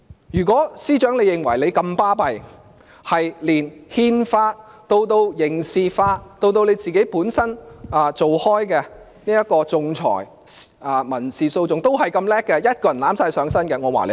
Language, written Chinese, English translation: Cantonese, 如果司長認為自己這麼了不起，連憲法、刑事法以至她本身從事的仲裁、民事訴訟都如此優秀，可以一人獨力承擔的話，我會讚賞她。, If the Secretary for Justice thinks that she is invincible and is an expert in the Constitution and criminal laws apart from her specialty in arbitration and civil laws and that she can shoulder all responsibility alone I would have to commend her